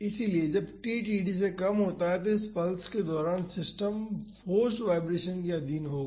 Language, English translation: Hindi, So, when t is less than td so, during this pulse the system will be under forced vibration